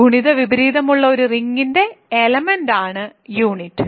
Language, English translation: Malayalam, So, unit is a element of a ring which has multiplicative inverse